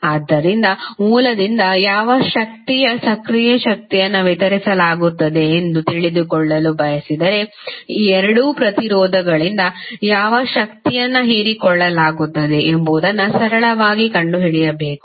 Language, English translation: Kannada, So, if you want to know that what the power active power being delivered by the source you have to simply find out what the power being absorbed by these two resistances